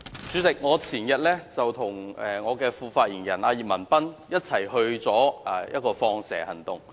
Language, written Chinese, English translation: Cantonese, 主席，前天我與我的副發言人葉文斌一同參與一個"放蛇"行動。, President my deputy spokesperson YIP Man - pan and I undertook an undercover operation the day before yesterday